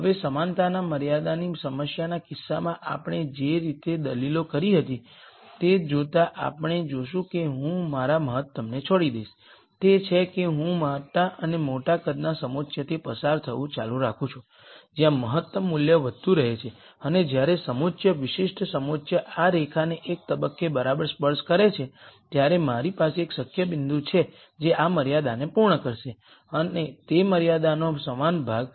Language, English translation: Gujarati, Now, making the same arguments that we made in the case of the equality constraint problem, we will see that I give up on my optimality, that is I keep going through contours of larger and larger size where the optimum value keeps increasing and when a contour particular contour touches this line exactly at one point then I have a feasible point which is going to satisfy this constraint, the equality part of the constraint